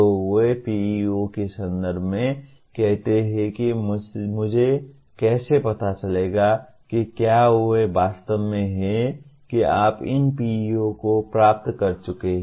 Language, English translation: Hindi, So they are stated in terms of PEOs saying that how do I find out whether they are actually that you have attained these PEOs